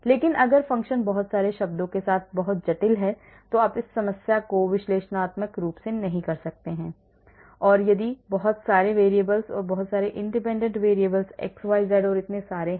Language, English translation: Hindi, but if the function is very complicated with lots of terms you cannot do that problem analytically if there are many variables and many independent variables x, y, z and so many